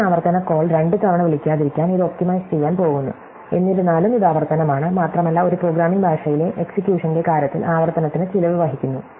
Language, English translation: Malayalam, It is going to be optimized to not make the same recursive call twice, but nevertheless it is recursive and recursion carries a cost in terms of execution in a programming language